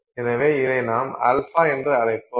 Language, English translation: Tamil, So, this is solid so we will call this alpha